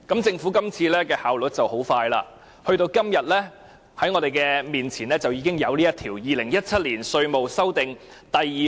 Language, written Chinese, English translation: Cantonese, 政府這次效率很高，今天放在我們面前已經有《2017年稅務條例草案》。, This time the Government is very efficient and we have right before us the Inland Revenue Amendment No . 2 Bill 2017 the Bill today